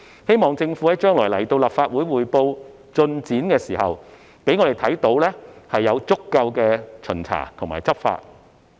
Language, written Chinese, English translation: Cantonese, 希望政府將來向立法會匯報進展的時候，可以讓我們看到有足夠的巡查和執法。, I hope the Government can show us that sufficient inspections and law enforcement actions have been taken when it reports the work progress to the Legislative Council in the future